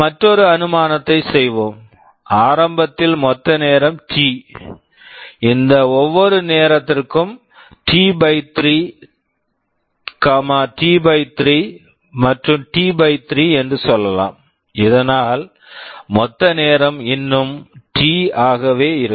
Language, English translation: Tamil, Let us make another assumption; the total time early was T, let us say for each of these time is T/3, T/3 and T/3, so that the total time still remains T